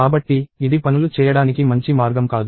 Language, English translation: Telugu, So, this is not a nice way to do things